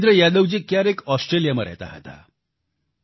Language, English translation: Gujarati, Sometime ago, Virendra Yadav ji used to live in Australia